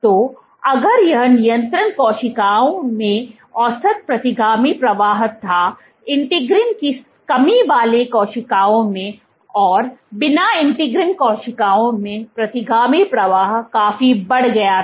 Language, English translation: Hindi, So, if this was the average retrograde flow in control cells, in integrin deficient cells, integrin null cells the retrograde flow was significantly increased